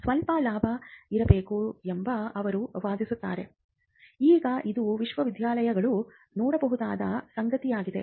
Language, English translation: Kannada, So, she argues that there has to be some profit has to come back, now this is something universities can also look at